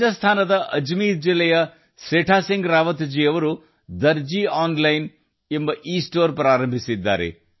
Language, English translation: Kannada, Setha Singh Rawat ji of Ajmer district of Rajasthan runs 'Darzi Online', an'Estore'